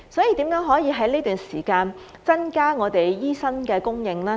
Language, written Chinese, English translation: Cantonese, 如何可以在這段時間增加醫生的供應？, How can the supply of doctors be increased in the meantime?